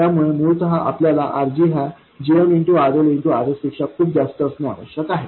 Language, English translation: Marathi, So essentially what you need is for RG to be much greater than GMRL RS